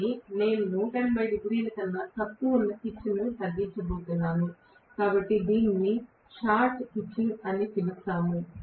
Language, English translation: Telugu, But I am going to reduce the pitch which is less than 180 degrees, so we call this as short pitching